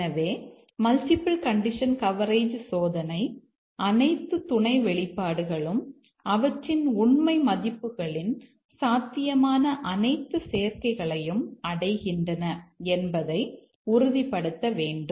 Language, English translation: Tamil, So, the multiple condition coverage testing should ensure that all the sub expressions they achieve all possible combinations of truth values